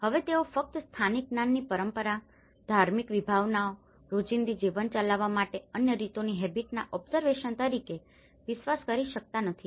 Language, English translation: Gujarati, Now cannot simply rely on local knowledge as tradition, religious precepts, habit observation of other practices to conduct their everyday lives